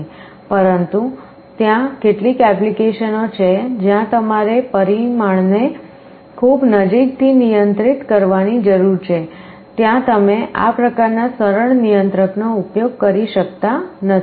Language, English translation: Gujarati, But, there are some applications where you need to control the parameter very closely, there you cannot use this kind of a simple controller